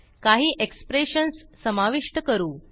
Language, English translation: Marathi, Now let us add some expressions